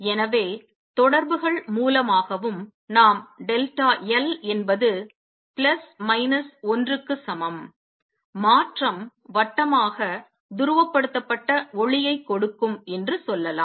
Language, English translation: Tamil, So, we can say also by correspondence delta l equals plus minus 1 transition will give circularly polarized light